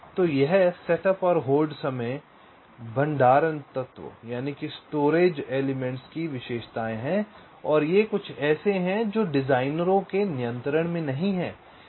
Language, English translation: Hindi, right so this setup and hold times, these are characteristics of the storage elements and these are something which are not under the designers control